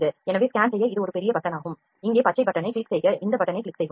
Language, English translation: Tamil, So, we this option this is a big button here scan green button we will click this button